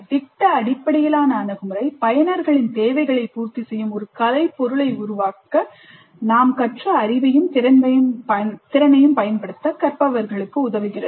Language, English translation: Tamil, The project based approach is enabling learners to apply knowledge and skills to create an artifact that satisfies users needs